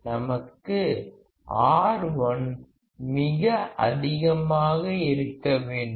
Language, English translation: Tamil, We should have R1 as extremely high